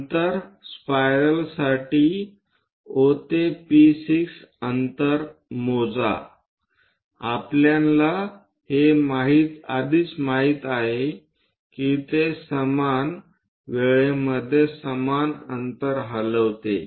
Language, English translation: Marathi, Then measure O to P6 distance for a spiral we already know it moves equal distances in equal intervals of time